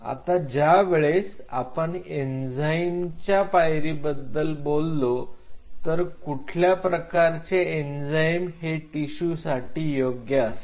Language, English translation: Marathi, Now when you talk about enzymatic step what enzyme will suit because it is an adult tissue